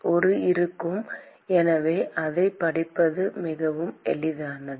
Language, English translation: Tamil, There will be a so, it is quite easy to read it out